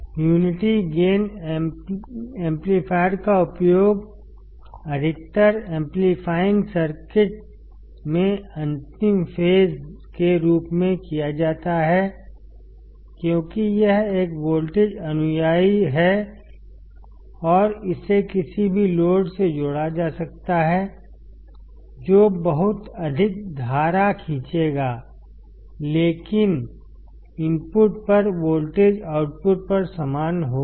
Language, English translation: Hindi, The unity gain amplifier is also used as the last stage in most of the amplifying circuits because it is a voltage follower and can be connected to any load which will draw lot of current, but the voltage at the input will be same at the output